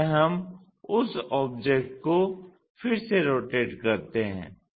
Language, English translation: Hindi, This is the way we re rotate that object